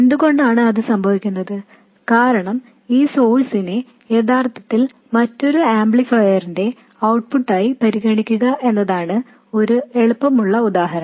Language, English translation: Malayalam, Because one easy example is to consider where this source is really the output of another amplifier